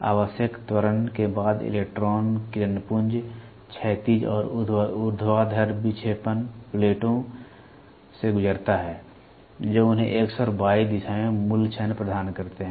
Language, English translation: Hindi, The electron beam after draining necessary acceleration passes through horizontal and vertical deflecting plates which provide them the basic moment in the X and Y direction